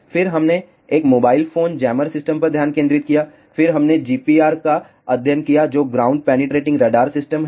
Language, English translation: Hindi, Then, we focused on a mobile phone jammer system, then we studied GPR, which ground penetrating radar system